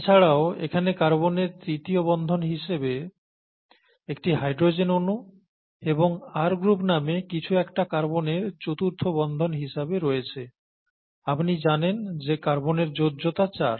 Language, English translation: Bengali, In addition you have a hydrogen atom here at the third and something called an R group as the fourth bond of the carbon, you know that carbon valency is four